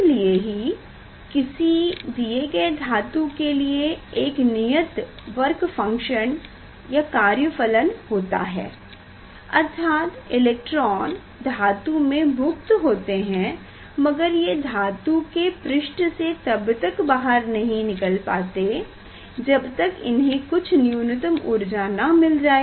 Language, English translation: Hindi, that is why for a particular metal there is a work function; means, electrons are free in the metal, but it cannot come out from the surface you need minimum energy to release the electron from the metal surface